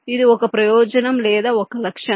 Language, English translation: Telugu, this is one advantage or one feature